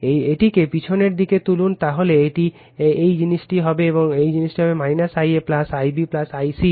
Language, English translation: Bengali, You take we put it in back, so it will be this thing minus of I a plus I b plus I c